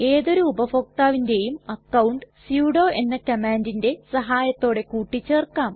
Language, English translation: Malayalam, We can add any user account with the help of sudo command